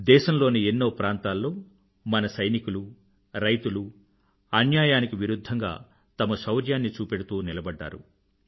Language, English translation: Telugu, In many parts of the country, our youth and farmers demonstrated their bravery whilst standing up against the injustice